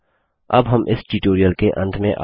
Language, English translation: Hindi, This brings me to the end of this tutorial at last